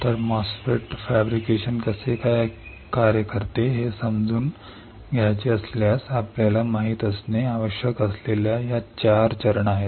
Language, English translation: Marathi, So, these are the 4 steps that you need to know if you want to understand how MOSFET fabrication works